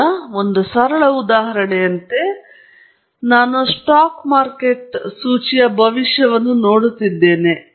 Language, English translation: Kannada, So, as a simple example, suppose, I am looking at the prediction of stock market index